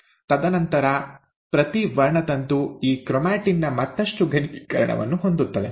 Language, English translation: Kannada, And then, each chromosome consists of a further condensation of this chromatin